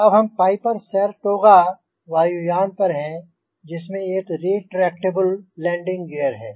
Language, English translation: Hindi, so we are now on piper saratoga aircraft, which has a retractable landing gear